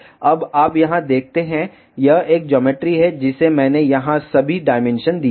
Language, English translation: Hindi, Now, you see here, this is a geometry I have given here all the dimensions